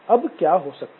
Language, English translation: Hindi, Then what can happen